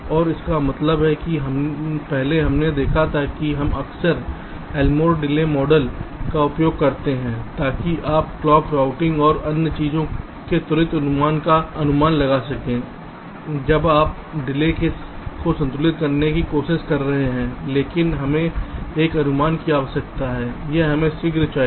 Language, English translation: Hindi, earlier we seen that we often use elmore delay model to estimate quick estimation of the of the interconnection delay when you are doing the clock routing and other things when you are trying to balance the delay